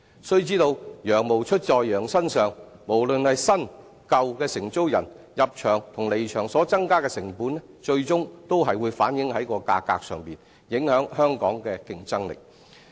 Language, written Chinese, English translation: Cantonese, 須知道，羊毛出在羊身上，無論是新、舊承租人，入場及離場所增加的成本，最終還是會反映於價格上，影響香港的競爭力。, The additional costs borne by the old tenant in surrendering the site and by the new tenant in the building works on the site will be finally reflected in the prices thus affecting Hong Kongs competitiveness